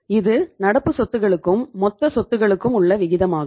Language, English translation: Tamil, So what is the extent of current asset to total assets right